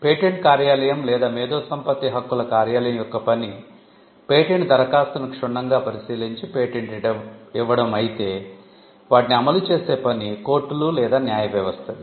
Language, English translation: Telugu, So, the patent office or the intellectual property office, the task of the intellectual property office is to scrutinize the patent application and grant a patent, whereas, the courts or a judicial system is entrusted with the task of enforcing them